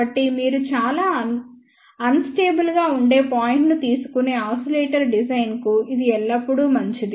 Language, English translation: Telugu, So, it is always better for design of the oscillator you take a point which is most unstable